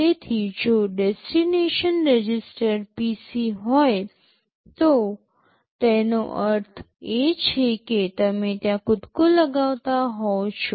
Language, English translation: Gujarati, So, if the destination register is PC it means you are jumping there